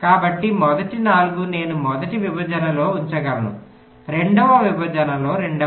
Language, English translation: Telugu, so the first four i can keep in the first partition, second in the other partition